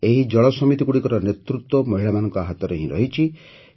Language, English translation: Odia, The leadership of these water committees lies only with women